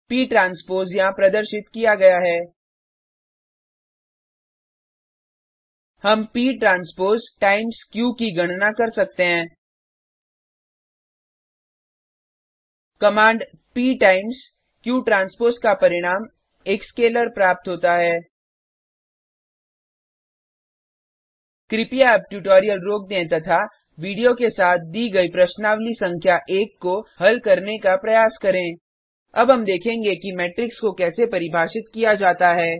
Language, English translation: Hindi, p transpose is as shown We can calculate p transpose times q: The command p times q transpose gives a scalar: Please pause the tutorial now and attempt exercise number one given with the video Now we will see how to define a matrix